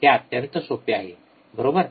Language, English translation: Marathi, Extremely easy, right